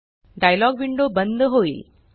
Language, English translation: Marathi, The dialog window gets closed